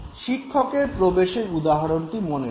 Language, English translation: Bengali, Take the example of the teacher entering the class